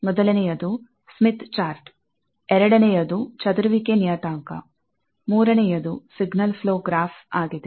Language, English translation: Kannada, First was Smith chart; the second was scattering parameter; the third is signal flow graph